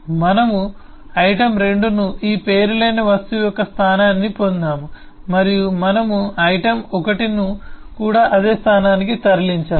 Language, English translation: Telugu, we used item 2, got the location of this unnamed object and we have moved item1also to that same location